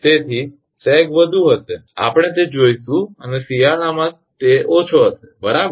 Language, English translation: Gujarati, So sag will be more we will come to see that and winter it will be less right